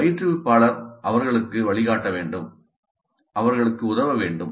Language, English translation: Tamil, So instructor must guide them, instructor must help them